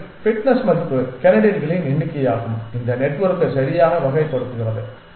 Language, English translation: Tamil, And the fitness value is the number of candidates this network correctly classifies